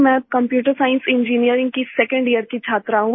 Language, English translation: Hindi, I am a second year student of Computer Science Engineering